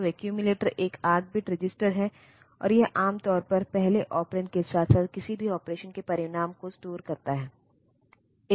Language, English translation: Hindi, So, accumulator is an 8 bit register, and it is normally it is storing their, the first operand as well as the result of the result of any operation